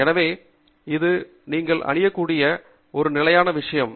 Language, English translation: Tamil, So, this is a standard thing that you can wear